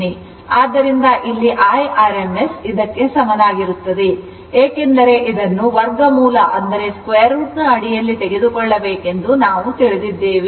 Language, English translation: Kannada, So, here I rms is equal to it is because, we have seen know this under root square we have to take